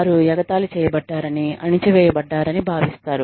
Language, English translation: Telugu, They feel, that they have been mocked at